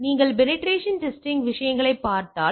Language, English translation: Tamil, So, if you if you look at the penetration testing things